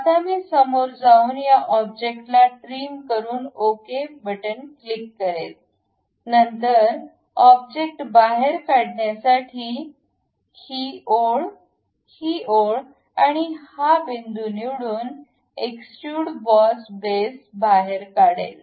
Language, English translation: Marathi, Now, I will go ahead trim this object, click ok; then pick this one, this line, this one, this one to extrude the object, extrude boss base